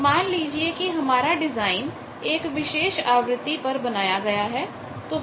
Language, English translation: Hindi, So, let us say that design has been carried out at a certain frequency